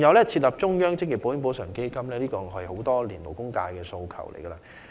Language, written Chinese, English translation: Cantonese, 設立中央職業保險補償基金也是勞工界多年來的訴求。, The setting up of a central occupational insurance compensation fund is likewise a demand put forth by the labour sector over all these years